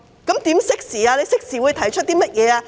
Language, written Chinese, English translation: Cantonese, 政府會適時提出甚麼措施？, What are the timely measures to be introduced by the Government?